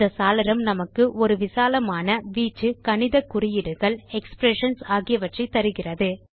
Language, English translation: Tamil, This window provides us with a range of mathematical symbols and expressions